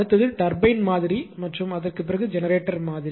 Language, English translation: Tamil, Next is the turbine model and after the generator model right